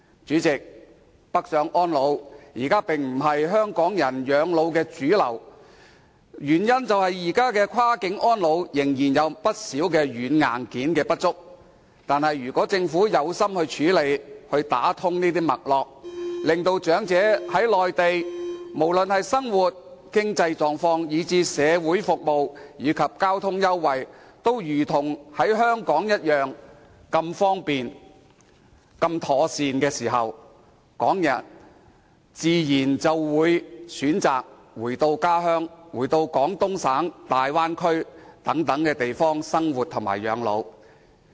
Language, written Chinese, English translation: Cantonese, 主席，北上安老並非現時港人養老的主流選擇，原因是現時就跨境安老，不少軟、硬件仍然不足，但如果政府決心處理，打通脈絡，令長者在內地時，無論生活上、經濟上或是社會服務及交通優惠方面，都感到一切如同在香港，都是一樣方便及妥善，這樣，港人自然會選擇返回家鄉，返回廣東省、大灣區等地生活及養老。, President currently retirement in the Mainland is not the choice of the majority because of inadequate software and hardware for cross - boundary elderly care at present . If the Government is determined to deal with the matter and coordinate various aspects the elderly will feel that living in the Mainland is just as convenient and decent as in Hong Kong whether in terms of daily living financial support or social service and transport concessions . Then Hong Kong people will subsequently choose to live and retire in their hometowns in Guangdong Province in the Bay Area etc